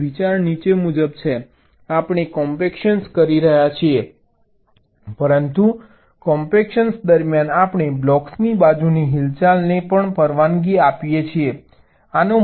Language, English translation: Gujarati, now, the idea is as follows: that we are doing compaction, but during compaction we are also allowing lateral movement of the blocks